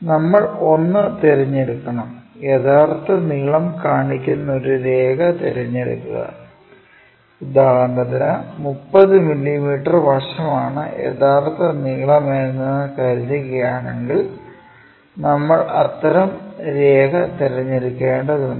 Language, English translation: Malayalam, We have to select a ; select a line which shows true length for example, 30 mm side supposed to be the true length if that is the thing, then we have to pick such kind of line